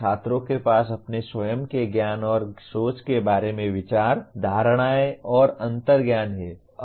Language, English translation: Hindi, Students have thoughts, notions, and intuitions about their own knowledge and thinking